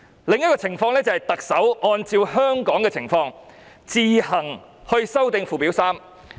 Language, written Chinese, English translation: Cantonese, 另一種情況就是特首按照香港的情況，自行修訂附表3。, As regards another situation the Chief Executive may take the initiative to amend Schedule 3 in the light of the circumstances in Hong Kong